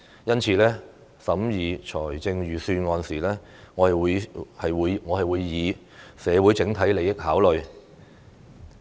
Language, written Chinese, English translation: Cantonese, 因此，審議預算案時，我會考慮社會整體利益。, For this reason I will have regard to the overall interests of society in scrutinizing the Budget